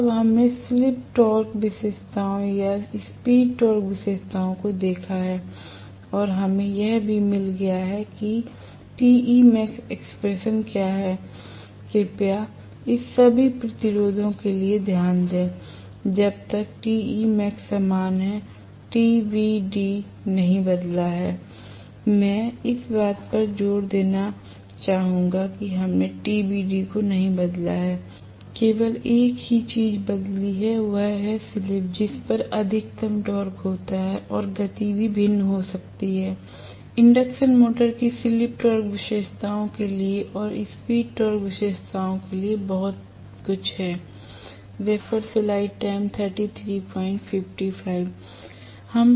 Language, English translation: Hindi, So, now that we have seen the slip torque characteristics or the speed torque characteristics and we have also got what is the Te max expression, please, note for all this resistances till Te max is remaining the same, that has not changed TBD has not changed right, I would like to emphasize that, we have not change TBD, only thing that has changed is the slip at which the maximum torque occurs and the speed also can be varied, so much for the slip torque characteristics and for the speed torque characteristics of the induction motor